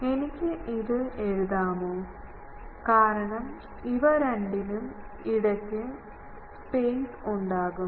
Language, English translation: Malayalam, Can I write this, because there will be space, space between the two ok